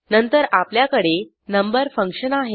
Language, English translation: Marathi, Then we have function number